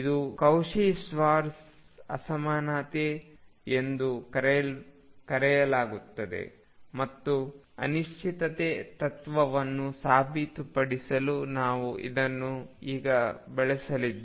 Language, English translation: Kannada, This is known as the Cauchy Schwartz inequality and we are going to use this now to prove the uncertainty principle